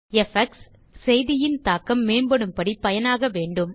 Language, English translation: Tamil, Effects can be used to enhance the impact of a message